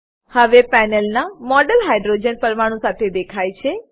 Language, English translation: Gujarati, The model on the panel is now displayed with hydrogen atoms